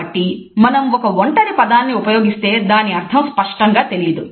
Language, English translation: Telugu, So, if we are using a single word the meaning does not become clear